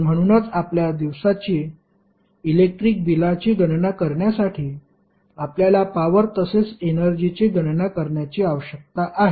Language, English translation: Marathi, So, that is why for our day to day electricity bill calculation you need calculation of power as well as energy